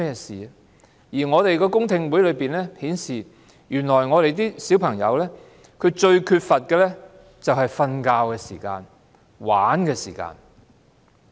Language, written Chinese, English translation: Cantonese, 此外，公聽會上有意見指出，原來小朋友最缺乏的是睡眠和玩樂時間。, In addition there were views at the public hearing that what children lacked the most was time for sleeping and playing